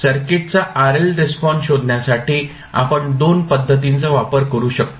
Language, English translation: Marathi, We can use 2 methods to find the RL response of the circuit